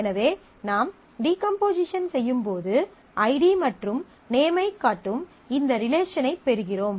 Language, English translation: Tamil, So, when I decompose, I get this relation which shows id and name